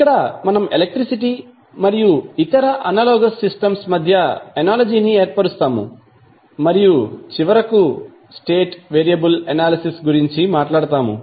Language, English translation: Telugu, So, we will establish the analogy between the electricity and other analogous systems and finally talk about the state variable analysis